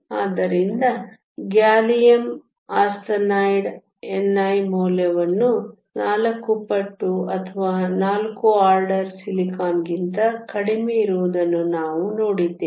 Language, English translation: Kannada, So, we saw that gallium arsenide has a value of n i that is 4 times or 4 orders lower than that of silicon